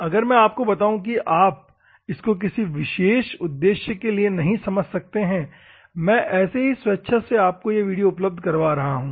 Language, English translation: Hindi, If I tell you may not understand for that particular purpose, I am just voluntarily providing you a video